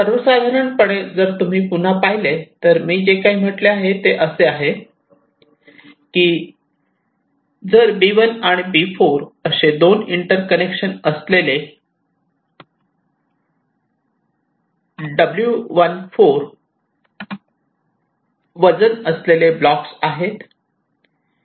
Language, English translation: Marathi, so in general, if you just again look at it, whatever i have said, that if there are two blocks like this, lets say b one and b four, in general, so you have the inter connections, the weight will be